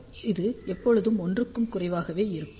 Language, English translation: Tamil, So, this should be equal to 1